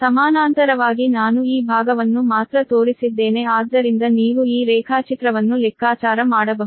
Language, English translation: Kannada, i have showed you only this part so you can compute, you can make this diagram right